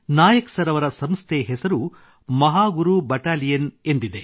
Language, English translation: Kannada, The name of the organization of Nayak Sir is Mahaguru Battalion